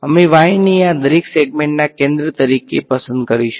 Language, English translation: Gujarati, We will choose y’s to be the centre of each of these n segments